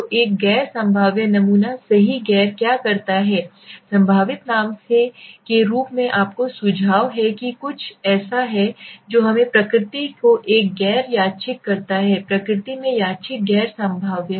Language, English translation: Hindi, So what does a non probabilistic sample say right a non probabilistic as the name suggest to you is something that is let us say random in nature a non random in nature non probabilistic